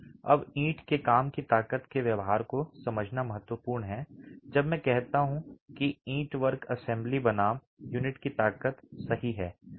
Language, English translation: Hindi, Now it's important to understand the behavior of the strength of the brickwork, when I say brickwork is the assembly versus the strength of the unit itself